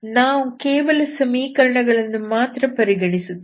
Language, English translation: Kannada, Let us see only what the equations are, okay